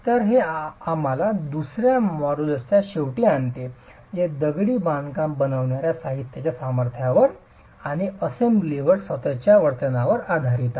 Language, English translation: Marathi, So that brings us to the end of the second module which is on the strengths of the materials that constitute the masonry and the behavior of the assembly itself